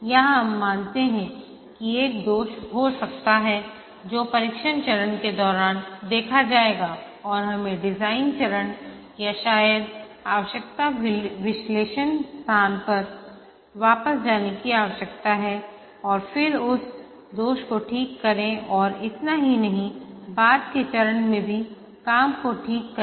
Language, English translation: Hindi, Here we assume that there can be a defect which will get noticed during the testing phase and we need to go back to the design phase or maybe the requirement analysis phase and then fix that defect and not only that fix the work in the later phases as well